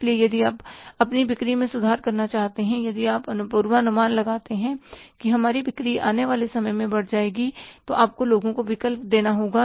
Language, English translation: Hindi, So, if you want to improve your sales, if you forecast that our sales will go up in the time to come, you have to give the choice to the people